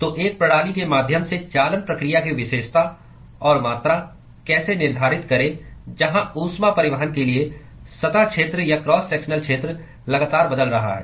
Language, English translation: Hindi, So, how to characterize and quantify conduction process through a system where the surface area or cross sectional area for heat transport is constantly changing